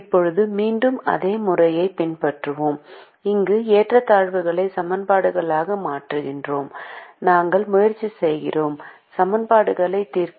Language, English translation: Tamil, now, once again, we will follow the same procedure, where we convert the inequalities, two equations and we try to solve the equations